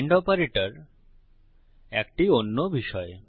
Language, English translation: Bengali, and operator is a different manner